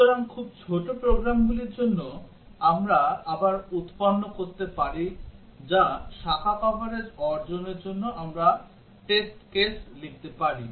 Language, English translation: Bengali, So, for very small programs, again we can generate or we can write test cases for achieving branch coverage